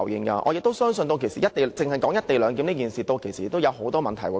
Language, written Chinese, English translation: Cantonese, 我也相信，單是"一地兩檢"，屆時已會衍生很多問題。, I also believe that the co - location arrangement alone will give rise to a myriad of problems in the future